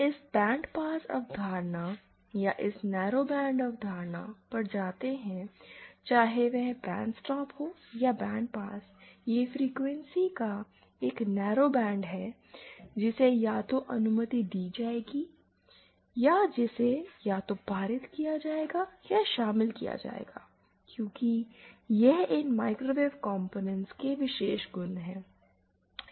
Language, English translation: Hindi, The reason we go to this bandpass concept or this narrowband concept whether it is bandstop or bandpass, that is a narrow band of frequencies which will be either allowed or which will be either past or attenuated is because of the special properties of these microwave microwave component